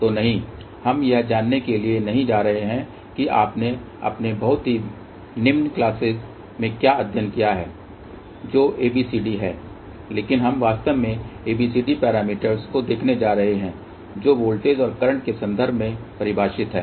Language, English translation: Hindi, So, now we are not going to learn what you studied in your very low class which is ABCD, but we are actually going to look at the ABCD parameters which are defined in terms of voltages and currents